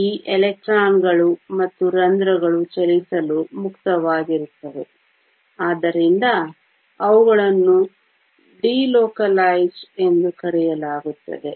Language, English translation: Kannada, These electrons and holes are essentially free to move, so they are called delocalized